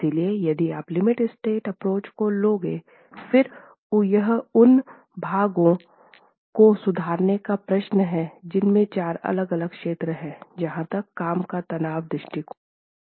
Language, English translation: Hindi, So if you are adopting the limit state approach, then it's a question of reformulating those expressions in which we had four different zones as far as the working stress approach was concerned